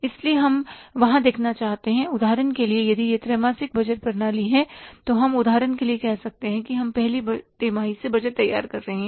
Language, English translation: Hindi, So, we like to see that for example if it is a quarterly budgeting system, so we can say for example we are preparing the budget for the first quarter